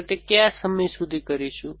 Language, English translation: Gujarati, Till what time do we do that